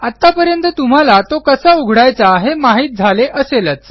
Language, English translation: Marathi, You probably know how to open this by now